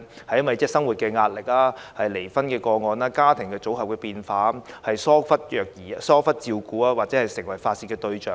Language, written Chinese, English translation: Cantonese, 是因為生活壓力、離婚個案、家庭組合變化，促成兒童受疏忽照顧或成為被發泄的對象？, Is it due to pressure of living divorce or changes in household composition that some children are neglected of care or become the main targets for parents to vent their anger?